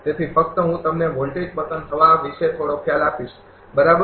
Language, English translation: Gujarati, So, just I will give you some idea about the voltage collapse, right